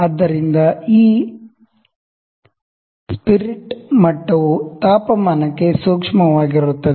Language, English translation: Kannada, So, this spirit level is sensitive to the temperature